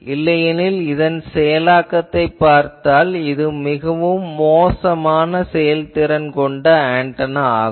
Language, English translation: Tamil, Otherwise, if you see the performance of this antenna this is very, very poor efficiency antenna